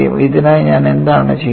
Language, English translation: Malayalam, For which what I am doing